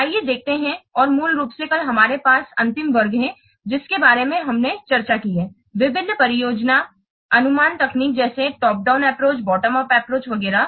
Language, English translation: Hindi, And basically yesterday we have last class we have discussed about this different project estimation techniques such as top down approach, bottom of approach, etc